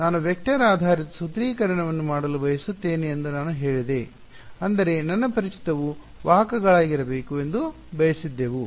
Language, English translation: Kannada, I said I wanted to do a vector based formulation; that means, my unknowns wanted needed to be vectors